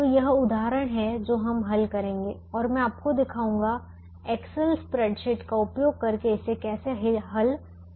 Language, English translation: Hindi, so this is the example that we will be solving and i will be demonstrating to you how to solve it using the excel spreadsheet